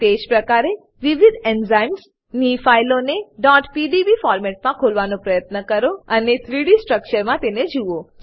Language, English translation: Gujarati, Similarly try to open .pdb files of different enzymes and view their 3D structures